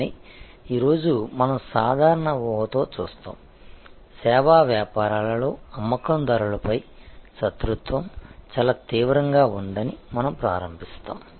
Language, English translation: Telugu, But, today we will look at with the general assumption, we will start that in service businesses rivalry on sellers is very intense